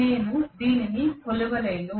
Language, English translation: Telugu, I cannot even measure it